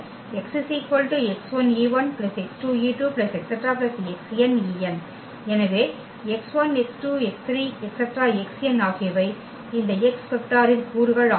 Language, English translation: Tamil, So, x 1, x 2, x 3, x n are the components of this x vector